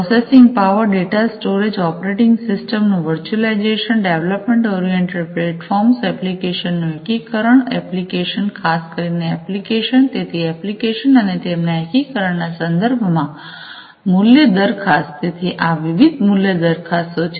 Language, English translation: Gujarati, Value proposition with respect to the processing power, data storage, virtualization of the operating system, development oriented platforms, integration of applications, applications you know specifically the applications, so applications and their integration essentially; so these are the different value propositions